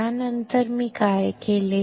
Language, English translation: Marathi, After that what I have done